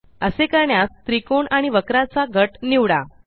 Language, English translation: Marathi, To do this, select the grouped triangle and curve